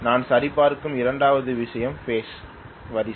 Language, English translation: Tamil, The second one I will check is phase sequence